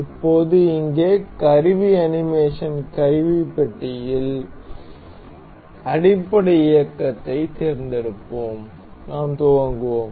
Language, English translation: Tamil, So, now here in the tool animation toolbar, we will select basic motion, and we will play